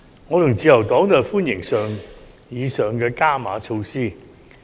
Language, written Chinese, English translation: Cantonese, 我和自由黨均歡迎上述的"加碼"措施。, The Liberal Party and I welcome these additional measures